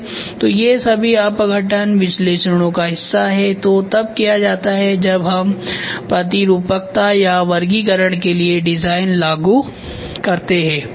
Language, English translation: Hindi, So, these are all part of decomposition analysis, which is done when we implement design for modularity or classification